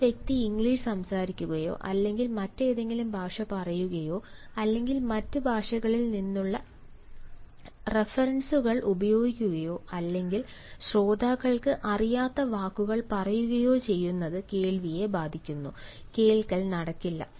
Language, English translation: Malayalam, moreover, the language: if a person speaks english of, say, for that matter, some other language, or he uses references from other languages or he uses words which, ah, the listeners do not know, listening comes to a halt, to a grinding halt, rather, listening does not take place